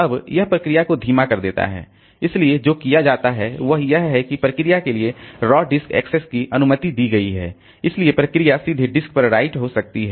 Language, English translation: Hindi, So, what is done is that if the raw disk access is given to the permission is given to the process, so the process can directly write onto the disk